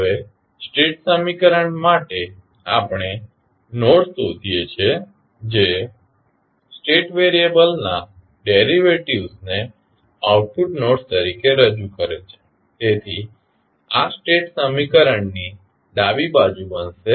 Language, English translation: Gujarati, Now, for the state equation we find the nodes that represent the derivatives of the state variables as output nodes, so this will become the left side of the state equation